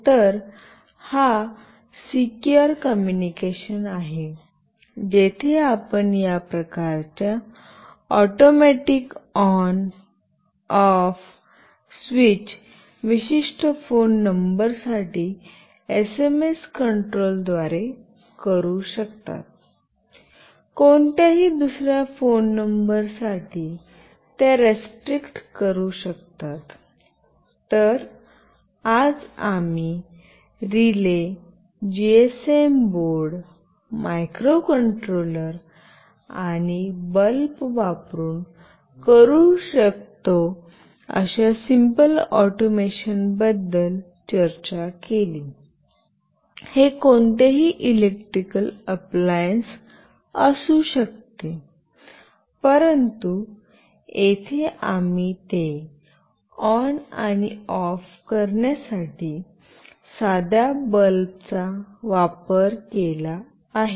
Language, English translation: Marathi, So, this is a secure communication, where you can restrict doing this kind of automatic ON, OFF switch through SMS control for certain phone numbers, and not for any phone numbers So, today we discussed about a simple automation that we can do using relay, a GSM board, a microcontroller, and of course a bulb, it can be any electrical appliances, but here we have used a simple bulb to make it ON and OFF